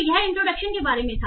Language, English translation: Hindi, So this was about an introduction